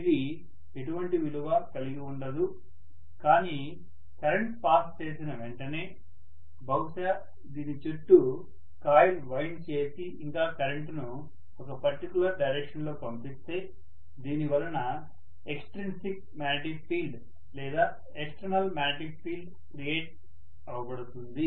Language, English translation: Telugu, It is not going to have any value at all but the moment I pass a current, maybe I just wind you know a coil around this and I pass a current in a particular direction, because of which an extrinsic magnetic field or external magnetic field is going to be created, maybe along this direction